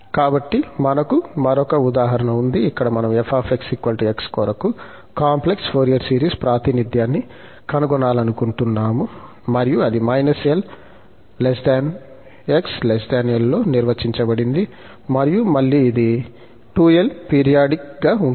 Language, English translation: Telugu, So, we have the, another example where we want to determine the complex Fourier series representation for this f x is equal to x and it is defined in minus l to l and again it is 2l periodic